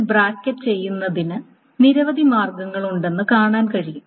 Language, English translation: Malayalam, And you can see that there are multiple ways of bracketing this up